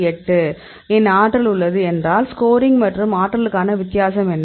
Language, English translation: Tamil, 8, so what is the difference between score and energy